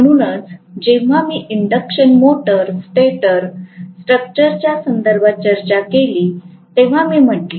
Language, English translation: Marathi, That is why I said when we discussed with respect to induction motor stator structure